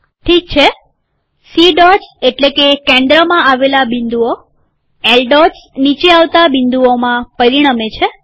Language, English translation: Gujarati, Okay, C dots means the dots come in the center, L dots result in the dots coming in the bottom